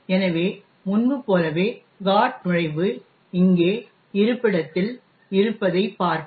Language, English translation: Tamil, So, we will see that the GOT entry as before is at the location here okay